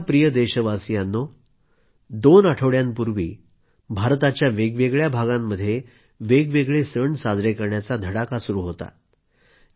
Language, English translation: Marathi, My dear countrymen, a couple of weeks ago, different parts of India were celebrating a variety of festivals